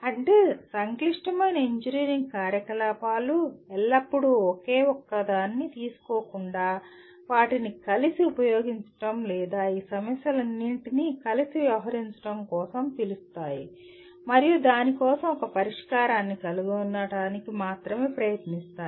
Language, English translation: Telugu, That means complex engineering activities always call for using them together or dealing with all these issues together rather than take one single one and only try to find a solution for that